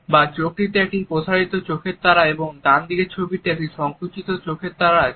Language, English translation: Bengali, The left eye has a dilated pupil and the right eye has a constricted pupil